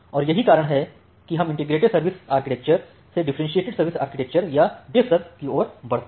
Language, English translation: Hindi, And that is why from the integrated service architecture we move towards the differentiated service architecture or DiffServ architecture